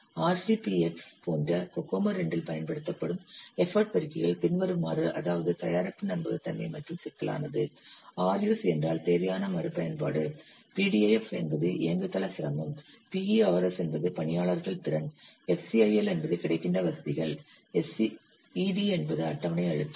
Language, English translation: Tamil, Following side, effort multipliers that you will use in Kocomut 2, like RCPX means product reliability and complexity, R use means reuse required, PDIF platform difficulty, PERS, personnel capability, FCIIL facilits available, SCED, schedule pressure